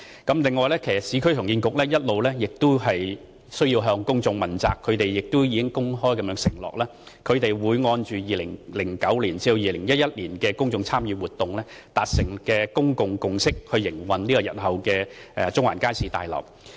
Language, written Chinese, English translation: Cantonese, 此外，市建局其實亦需要向公眾問責，它亦公開承諾會按2009年至2011年公眾參與活動所達成的公眾共識，來營運日後的中環街市大樓。, In fact URA also has to be accountable to the public . It has openly pledged that it will adopt the consensus reached at the public engagement exercise conducted between 2009 to 2011 to operate the future Central Market Building